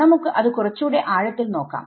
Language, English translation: Malayalam, So now let us go a little bit deeper into that